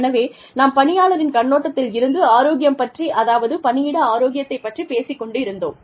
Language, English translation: Tamil, So, when we talk about health, when we talk about workplace health, from the employee's perspective